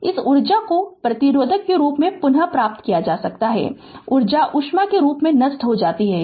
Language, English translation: Hindi, This energy can be retrieved like resistor the energy is dissipated in the form of heat